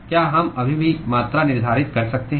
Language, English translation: Hindi, Can we still quantify